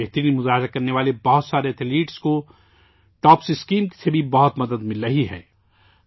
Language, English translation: Urdu, Many of the best performing Athletes are also getting a lot of help from the TOPS Scheme